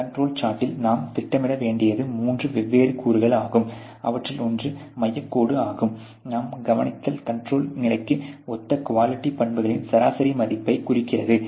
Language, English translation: Tamil, And what you know you have to plot on the control chart essentially are three different elements; one of them is a center line which represents the average value of the quality characteristics corresponding to the in control state out of all your observation which is there